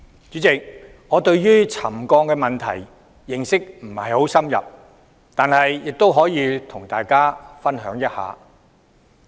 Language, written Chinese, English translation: Cantonese, 主席，我對沉降問題的認識不太深入，但亦可以和大家分享一點。, President I am not well versed in ground settlement but still I have some points to share